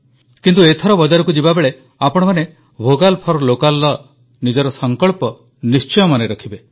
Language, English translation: Odia, But this time when you go shopping, do remember our resolve of 'Vocal for Local'